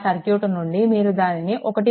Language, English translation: Telugu, From that circuit, you will get it is 1